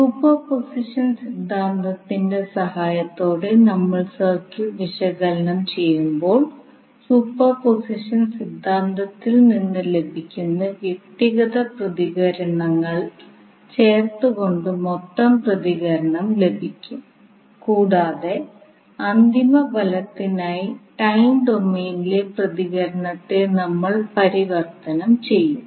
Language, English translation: Malayalam, So when we will analyze the circuit with the help of superposition theorem the total response will be obtained by adding the individual responses which we get from the superposition theorem and we will convert the response in time domain for the final result